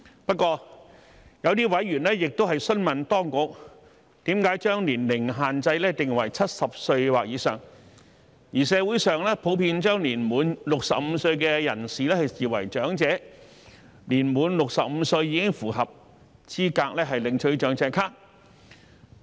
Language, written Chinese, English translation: Cantonese, 不過，有些委員亦詢問當局為甚麼將年齡限制設定為70歲或以上，而社會上普遍將年滿65歲的人士視為長者，年滿65歲已符合資格領取長者咭。, Nevertheless some members have enquired about the reason for the authorities to set the age limit at not less than 70 years of age while it is generally accepted in the community that persons aged over 65 are elderly as they are eligible for the Senior Citizen Card